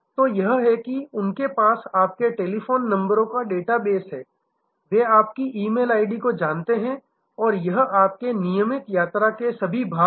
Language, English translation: Hindi, So, this is they have the data base of your telephone numbers, they know your E mail id and it is all part of on your regular traveler